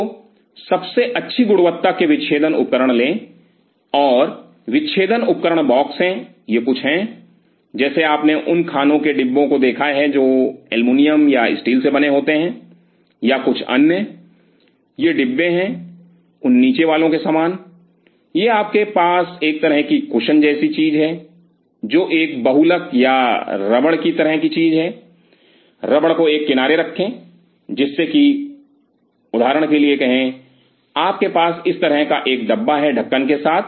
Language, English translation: Hindi, So, get the best quality dissecting instrument, and there are dissection instrument box it is something, like those of you have seen in other lunch boxes which are made up of aluminum or steel or something these are box similar to that underneath it you have a kind of a cushion like thing which is a polymer or rubber kind of thing keep a rubber on the side so that say for example, you have the box like this with a cover